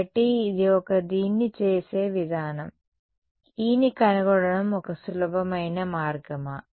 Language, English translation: Telugu, So, this is one way of doing it, is that a simpler way of doing it of finding E